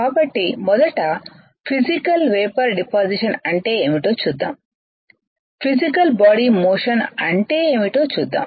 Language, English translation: Telugu, So, let us see what is first Physical Vapor Deposition alright let us see what is physical body motion